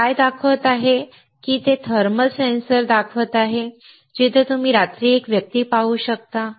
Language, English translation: Marathi, What they are showing whether they are showing a thermal sensor, where you can see a person in night